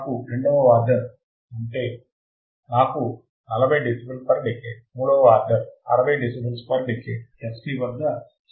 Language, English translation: Telugu, If I have a 2nd second order I will have 40 dB per decade, third order 60 dB per decade at f c equals to 0